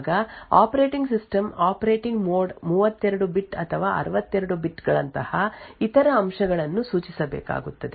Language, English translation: Kannada, Also, while creating the page the operating system would need to specify other aspects such as the operating mode whether it is 32 bit or 64 bits